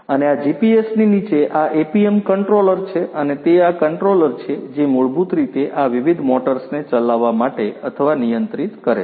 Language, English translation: Gujarati, And, below this GPS is this APM controller and it is this controller which basically makes or controls these different motors to operate